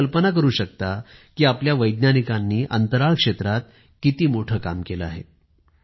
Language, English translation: Marathi, You can well imagine the magnitude of the achievement of our scientists in space